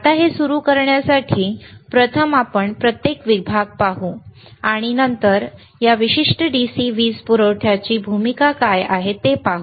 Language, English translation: Marathi, Now, so to start this one, right, , let us first see each section, and then we see what is the role of this particular DC power supply is;